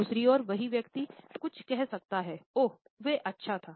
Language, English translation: Hindi, On the other hand, the same person can say, oh, it was good